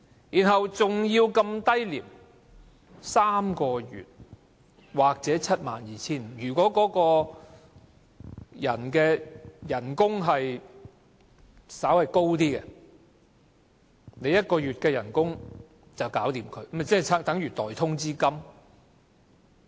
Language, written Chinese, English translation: Cantonese, 代價還要那麼低 ，3 個月薪酬或 72,500 元，如果該僱員的月薪稍高，用1個月薪酬便能解決他，豈非等於代通知金？, And the price is also very low three times an employees monthly wages or 72,500 . If an employee has a high monthly wage does it mean that he can be removed with only a months wage? . Will the further sum become payment in lieu of notice?